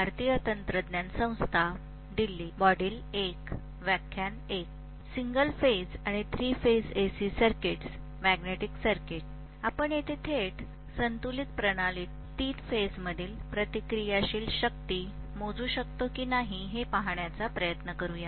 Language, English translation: Marathi, Let us try to see whether we can measure reactive power in a three phased system directly, balanced system